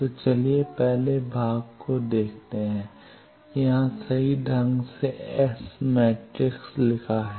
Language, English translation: Hindi, So, let us see the first part that here it is correctly written the S matrix